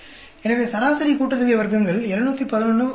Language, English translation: Tamil, So, mean sum of squares 711 by 2